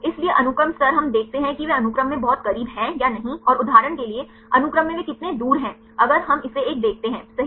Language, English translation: Hindi, So, the sequence level we see whether they are very close in sequence right and how far they are apart in the sequence for example, if we see this one right